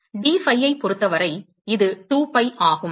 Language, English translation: Tamil, With respect to dphi, it is 2 pi